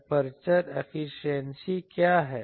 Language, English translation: Hindi, What is aperture efficiency